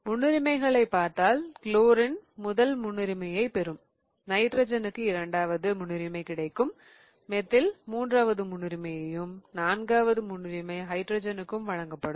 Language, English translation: Tamil, So, if I look at the priorities, chlorine will get the first priority, nitrogen will get the second priority, methyl here will get the third priority and fourth priority will be given to the hydrogen